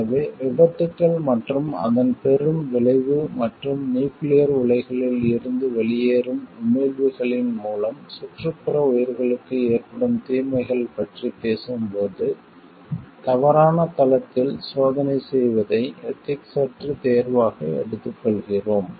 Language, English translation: Tamil, So, when we talks of accidents and the great consequence is related to it and, the harm provided to the life around through emissions from nuclear reactors, then taking a like unethical choice of doing the testing in a wrong site